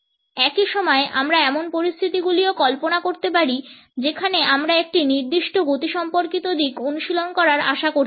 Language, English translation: Bengali, At the same time we can also imagine situations in which we may be expected to practice a particular kinesics aspect